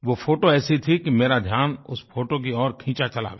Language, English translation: Hindi, It was such a striking photo that my attention was magnetically drawn towards